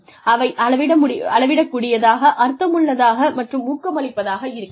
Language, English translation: Tamil, They should be measurable, meaningful, and motivational